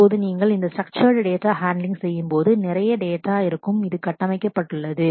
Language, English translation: Tamil, Or now while you are doing this unstructured data handling, there will be lot of data which is also structured